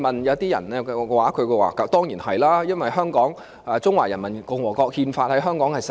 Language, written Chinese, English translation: Cantonese, 有些人認為當然是，因為《中華人民共和國憲法》在香港實施。, Some people will of course think so as they think the Constitution of the Peoples Republic of China is implemented in Hong Kong